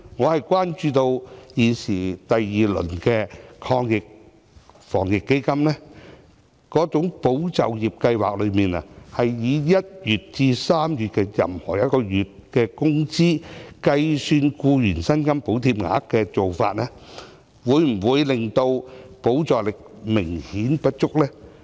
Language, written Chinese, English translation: Cantonese, 我關注到第二輪的防疫抗疫基金的"保就業"計劃，是以1月至3月任何一個月的員工工資來計算僱員薪金補貼額，這做法會否令補助力度明顯不足？, My concern is that under ESS in the second round of the Anti - epidemic Fund wage subsidies will be calculated on the basis of the wage of an employee in any one of the months from January to March . Will this approach be apparently insufficient in providing subsidies?